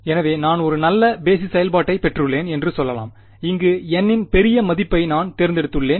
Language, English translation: Tamil, So, let us say that I have got very good basis function I have chosen a large value of N anything else that could be a problem over here